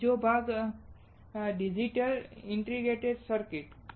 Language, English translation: Gujarati, Second part digital integrated circuits